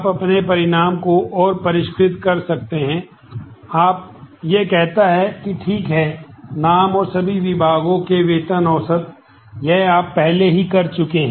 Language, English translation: Hindi, You can further refine your result is saying that, fine names and average salary of all departments; this much you have already done